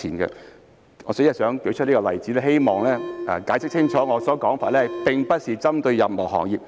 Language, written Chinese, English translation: Cantonese, 代理主席，我舉出這個例子只是希望解釋清楚我的說法，並非針對任何行業。, Deputy Chairman I have cited this example just to illustrate my point clearly . I am not targeting at any profession